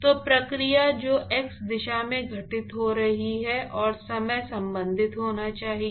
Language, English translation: Hindi, So, somehow the process which is occurring in the x direction, and time has to be related